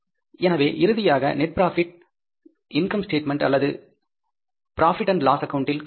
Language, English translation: Tamil, So, finally, the net profit will be calculated in the income statement or in the profit and loss account